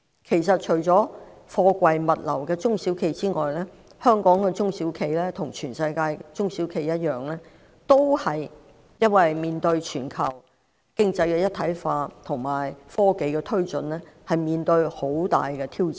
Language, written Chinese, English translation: Cantonese, 事實上，除了從事貨櫃物流的中小企之外，香港其他中小企亦與全世界的中小企一樣，由於全球經濟一體化及科技發展而面對極大挑戰。, As a matter of fact apart from SMEs engaging in container logistics other SMEs in Hong Kong just like SMEs around the world face tremendous challenges arising from global economic integration and development of technology